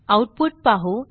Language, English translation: Marathi, Let us see the output